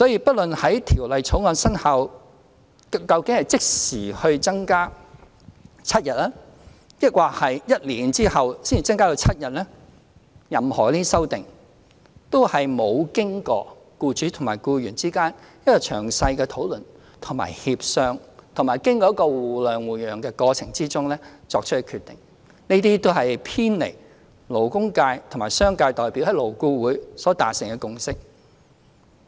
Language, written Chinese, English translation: Cantonese, 不論是在《條例草案》生效後即時把侍產假增至7天，還是在1年後才把侍產假增至7天，任何這些修正案若沒有經過僱主與僱員之間的詳細討論和協商，也不是經過互諒互讓的過程而作出的決定，這些修正案都是偏離了勞工界和商界代表在勞顧會所達成的共識。, As regards the amendments that seek to increase paternity leave to seven days whether they seek to do so immediately after the enactment of the Bill or a year later if they are not the result of detailed discussions and negotiations between employers and employees and are not decisions reached through mutual understanding and accommodation they are deviations from the consensus reached by labour and business representatives in LAB